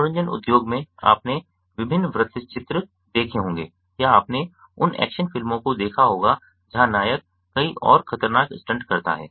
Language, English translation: Hindi, you must have seen various documentary documentaries or you must have seen those action movies where the protagonist performs multiple and dangerous stunts